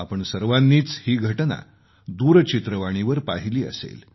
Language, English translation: Marathi, All of you must have watched it on T